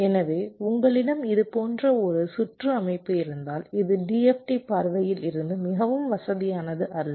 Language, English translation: Tamil, so if you have a circuit structure like this, this is not very convenient from d f t point of view